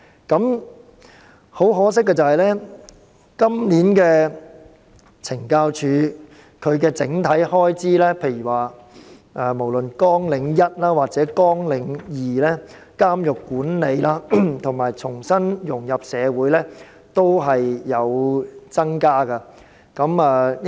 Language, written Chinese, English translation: Cantonese, 今年懲教署的整體開支，無論是綱領1監獄管理或綱領2重新融入社會均有所增加。, CSDs overall expenditure this year on both Programme 1 Prison Management and Programme 2 Re - integration has increased